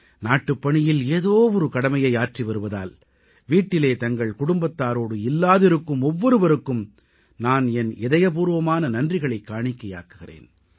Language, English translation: Tamil, I express gratitude to each and every person who is away from home and family on account of discharging duty to the country in one way or the other